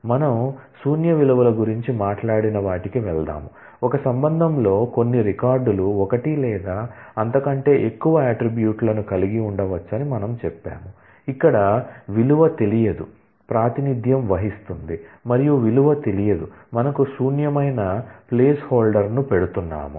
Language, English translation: Telugu, Let us, go to the treatment of we talked about null values, that we said that it is possible that certain records in a relation may have one or more attributes where, the value is not known and to represent, that the value is not known we are putting a placeholder called null